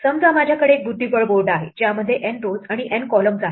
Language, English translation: Marathi, Supposing, I have a chessboard in which there are N rows and N columns